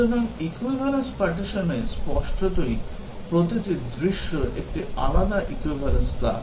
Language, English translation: Bengali, So, in equivalence partitioning, obviously, each scenario is a different equivalence class